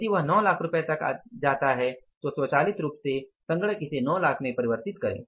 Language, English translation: Hindi, If they go up to 9 lakhs automatically the system should means convert that into the 9 lakhs